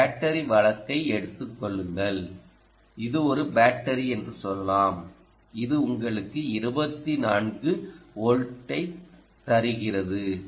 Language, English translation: Tamil, take a battery case, ok, and let us say: this is a battery which gives you twenty four volts